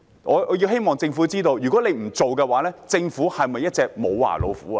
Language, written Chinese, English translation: Cantonese, 我希望政府知道，若不作此舉，政府是否一隻"無牙老虎"呢？, I hope the Government understands that failure to do so would make it a toothless tiger